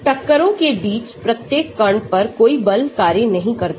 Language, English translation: Hindi, No force acts on each particle between collisions